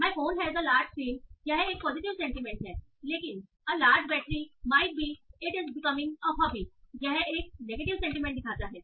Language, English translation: Hindi, My phone has a large screen that might be positive sentiment, but large battery might be like, it's becoming very happy